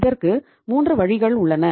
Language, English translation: Tamil, So there are 3 ways